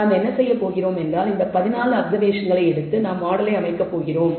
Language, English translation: Tamil, So, what we do is we have these 14 observations we have taken and we are going to set up the model form